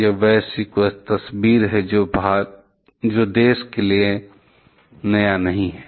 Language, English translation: Hindi, It is a global picture not for new particular country